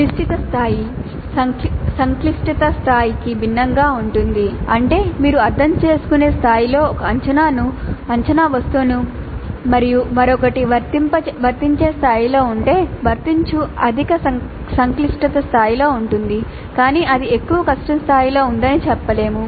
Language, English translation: Telugu, That is if you have got an assessment item at the type at the level of understand and another one at the level of apply applies at higher complexity level but that is not to say that it is at higher difficulty level